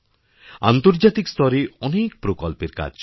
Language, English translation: Bengali, There are many projects under way